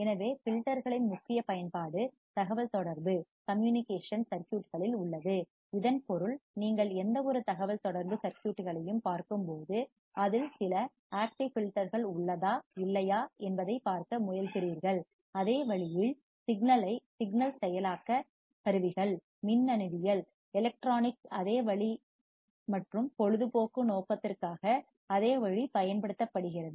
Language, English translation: Tamil, So, main application of filters are in communication circuits so that means, when you see any communication circuit, you try to see whether it has some active filters or not, same way signal processing tools, same way in electronics and same way for entertainment purpose